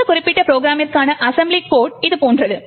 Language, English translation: Tamil, The assembly code for this particular program looks something like this